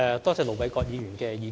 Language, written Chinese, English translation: Cantonese, 多謝盧偉國議員的意見。, I thank Ir Dr LO Wai - kwok for his views